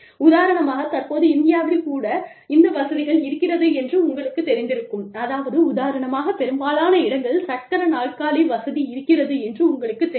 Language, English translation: Tamil, For example, these days, even in India, we need to have, you know in, i mean, you know, a lot of places need to be, wheelchair accessible, for example